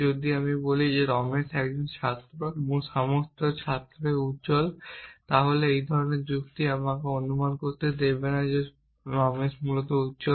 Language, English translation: Bengali, Socrates is mortal if I say Ramesh is a student all students are bright then the same form of reasoning will allow me to infer that Ramesh is bright essentially